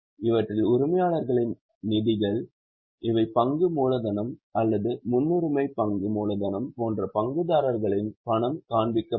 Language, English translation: Tamil, These are the monies of the shareholders like share capital or preference share capital that will be shown and what are the borrowings